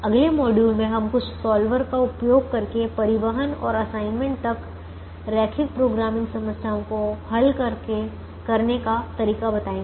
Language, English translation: Hindi, in the next module we will introduce how to solve linear programming problems, upto transportation and assignment, using some solver